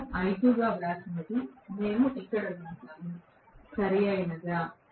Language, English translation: Telugu, What we wrote as I2, we wrote it here, Right